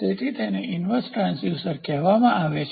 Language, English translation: Gujarati, So, it is called as inverse transducer